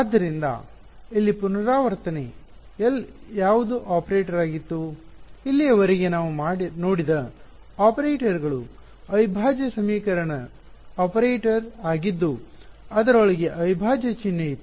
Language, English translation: Kannada, So, the recap over here, what was L was an operator right so, far the operators that we had seen were integral equation operator they had a integral sign inside it ok